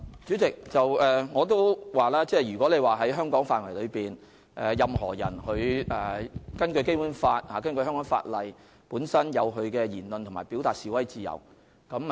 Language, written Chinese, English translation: Cantonese, 主席，正如我剛才所說，在香港範圍內，根據《基本法》和香港法例，任何人均享有言論自由和表達、示威自由。, President as I said just now within the territory of Hong Kong under the Basic Law and the Hong Kong legislation all people are entitled to the freedom of speech of expression and of demonstration